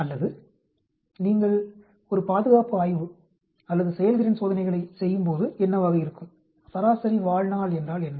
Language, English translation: Tamil, Or what will be when you are doing a safety study or efficacy trials, what is a median survival